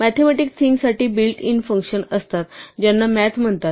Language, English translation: Marathi, There is a built in set of functions for mathematical things which is called math